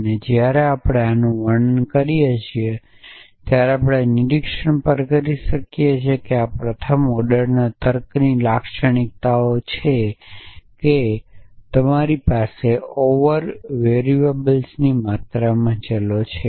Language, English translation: Gujarati, And just when we are describing this we can also make an observation that this is the characteristics of first order logic that you have variables in a quantify an over variables